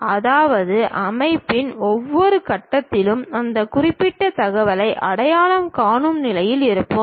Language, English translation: Tamil, That means, at each and every point of the system, we will be in a position to really identify that particular information